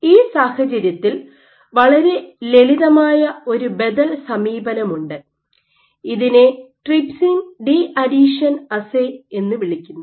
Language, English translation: Malayalam, For all these cases, so there is a very simple alternative approach which you might follow is called a trypsin deadhesion assay